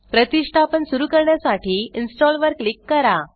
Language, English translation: Marathi, Click Install to start the installation